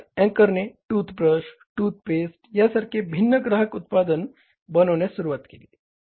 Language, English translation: Marathi, Then anchor diversify to the different consumer products like toothbrushes, toothpaste